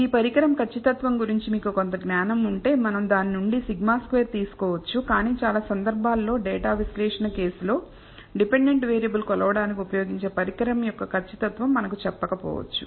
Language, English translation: Telugu, If you have some knowledge of this instrument accuracy we can take the sigma squared from that, but in most cases data analysis cases we may not have been told what is the accuracy of the instrument used to measure the dependent variable